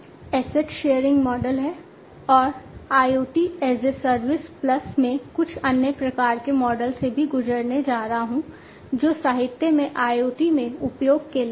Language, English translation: Hindi, Asset sharing model, and IoT as a service plus I am also going to go through some of the other types of models that are there in the literature for use in IoT